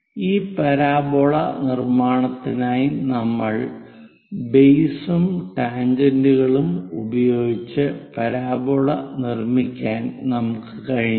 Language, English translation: Malayalam, For this parabola construction, what we have used is, by using base and tangents, we are in a position to construct parabola